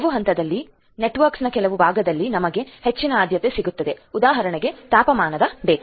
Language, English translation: Kannada, In certain the certain parts of the network at certain points will have higher priority let us say to the temperature data